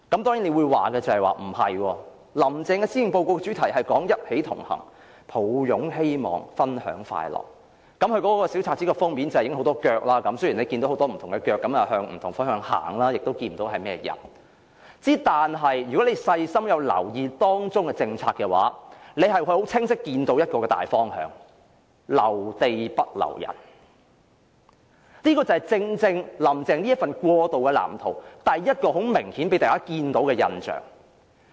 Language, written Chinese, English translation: Cantonese, 當然，有人會反駁說"林鄭"的施政報告主題是"一起同行擁抱希望分享快樂"，大家看到那份小冊子封面有很多人走路的腳，雖然大家走的方向不同，亦看不到走路的人的樣貌，但如果大家細心留意當中的政策，便會清晰看到一個大方向，便是"留地不留人"，這正正是"林鄭"這份過渡藍圖第一個明顯予人的印象。, On the front page of the booklet we can see many legs of the walking crowd although they go in different directions and their faces are nowhere to be seen . If we pay attention to the policies in the Policy Address however we can see clearly a major direction keep the land not the people . This is precisely the first impression that has become apparent to the people in this transition blueprint of Carrie LAMs